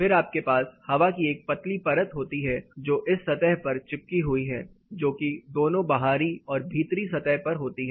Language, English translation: Hindi, Then you have a thin layer of air fill which adores to this particular surface, both outside surface as well as inside surface